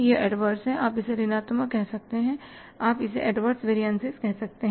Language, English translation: Hindi, You can call it as negative, you can call it as adverse variance